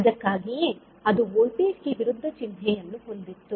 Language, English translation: Kannada, That is why it was having the opposite sign for voltage